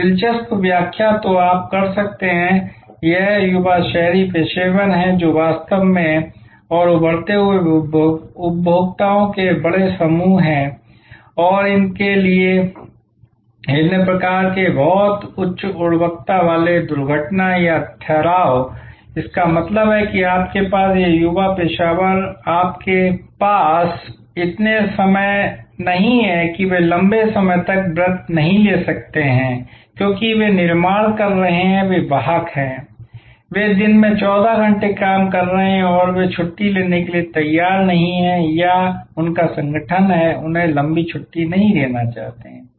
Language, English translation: Hindi, An interesting explanation that you can do is this young urban professionals they are actually and emerging big group of consumers and for them different types of very high quality crash or staycations; that means, you this young professionals you do not have much of time they cannot take a long vocation, because they are building, they are carrier, they are working a 14 hours a day and they are not prepared to take leave or their organization is reluctant to give them long leave